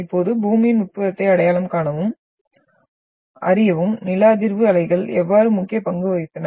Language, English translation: Tamil, Now, how seismic waves played an important role to identify and to know the interior of Earth